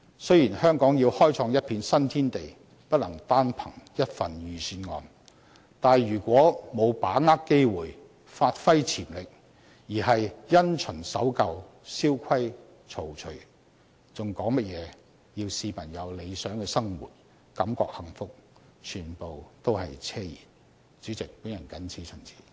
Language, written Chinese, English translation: Cantonese, 雖然香港要開創一片新天地，不能單憑一份預算案，但如果沒有把握機會，發揮潛力，而是因循守舊，蕭規曹隨，還談甚麼要市民有理想的生活，感覺幸福，全部都是奢言。, If Hong Kong is to open up new horizons we cannot simply rely on one single Budget . If we fail to seize the opportunity and fail to give full play to our potentials; if we continue in the same old rut and blindly adhere to the established practice how can we talk about a good life and happiness for people? . These are nothing but empty talks